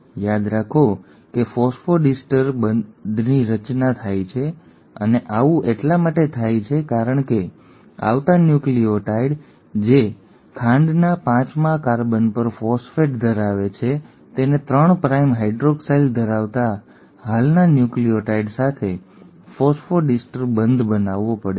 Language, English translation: Gujarati, Remember there is a formation of phosphodiester bond and this happens because the incoming nucleotide, which is, has a phosphate at its fifth carbon of the sugar has to form a phosphodiester bond with an existing nucleotide having a 3 prime hydroxyl